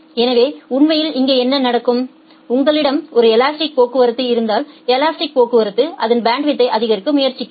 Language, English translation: Tamil, So, what will happen here actually, if you have a elastic traffic, the elastic traffic will try to increase its bandwidth